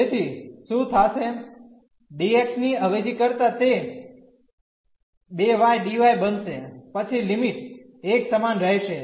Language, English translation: Gujarati, So, what will happen for the substitution the dx will become the 2y dy the limits will remain the same